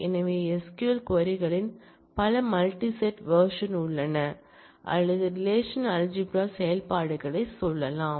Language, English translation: Tamil, So, there are multi set versions of the SQL queries or so to say the relational algebra operations